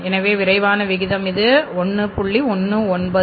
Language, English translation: Tamil, So the quick ratio is the this is 1